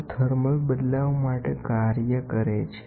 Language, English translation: Gujarati, They compensate for the thermal change